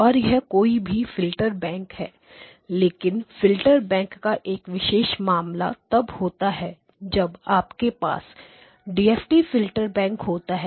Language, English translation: Hindi, And this is any filter bank, but a special case of the filter bank is when you have a DFT filter bank